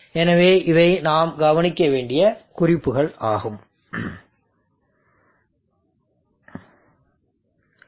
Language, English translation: Tamil, So these are tips and hints that we should observe